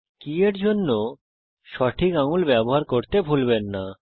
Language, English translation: Bengali, Remember to use the correct fingers for the keys